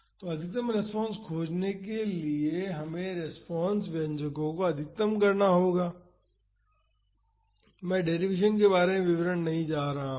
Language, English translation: Hindi, So, to find the maximum response we have to maximize the response expressions, I am not going to the detail of the derivation